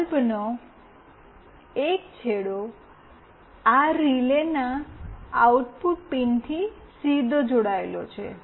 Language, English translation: Gujarati, One end of the bulb is directly connected to NO output pin of this relay